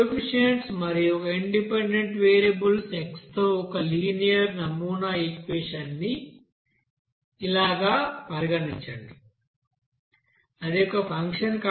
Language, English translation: Telugu, Now consider that model linear equation in the coefficients with one independent variable x that is as a function there